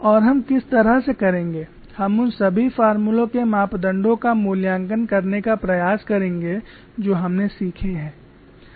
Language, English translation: Hindi, What we will do is we will try to evaluate the parameters for all the formula that we have learned